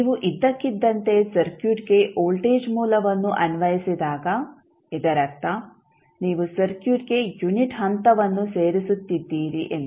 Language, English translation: Kannada, So, when you suddenly apply the voltage source to the circuit it means that you are adding unit step to the circuit